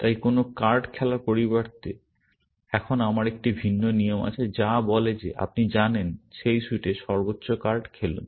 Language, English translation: Bengali, So, instead of playing any card, now, I have a different rule, which says that you know, in that suit, play the highest card